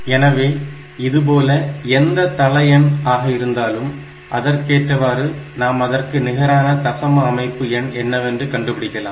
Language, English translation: Tamil, So, in this way whatever be the base, accordingly we can think we can find out what is the corresponding number in the decimal system